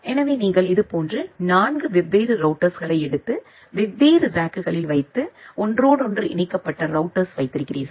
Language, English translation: Tamil, So, you take 4 different such routers and put it into different racks and have an interconnected router